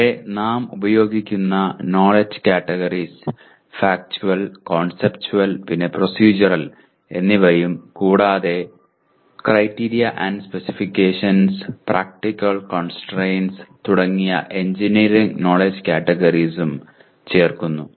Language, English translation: Malayalam, And knowledge categories here we are using Factual, Conceptual, Conceptual and here Procedural but we are also adding the engineering knowledge categories like Criteria and Specifications and Practical Constraints and these are the classroom sessions and these are the laboratory sessions